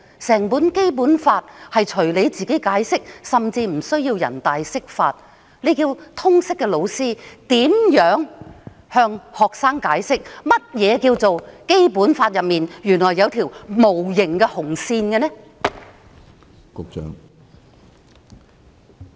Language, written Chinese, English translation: Cantonese, 整份《基本法》任由她解釋，甚至無須由全國人民代表大會釋法，這叫通識科教師如何向學生解釋，《基本法》內原來有一條無形的"紅線"？, The entire Basic Law is interpreted at will . She does not even need to seek an interpretation from the Standing Committee of the National Peoples Congress . So how are teachers teaching General Studies going to explain to their students that there is an invisible red line in the Basic Law?